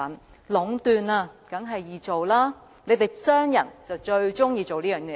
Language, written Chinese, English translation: Cantonese, 在壟斷下，生意當然易做，你們這些商人就最喜歡這做法。, It is natural for businesses enjoying monopolization to reap profits easily . Businessmen like this practice most